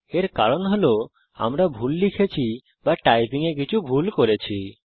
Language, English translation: Bengali, Thats because we have mistyped or made an error in typing